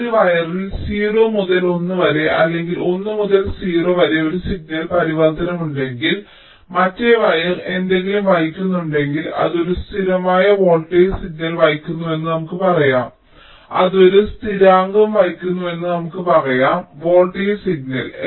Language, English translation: Malayalam, lets say so if on one of the wire there is a signal transition, either from zero to one or from one to zero, so the other wire maybe carrying something, lets say it was carrying a constant voltage signal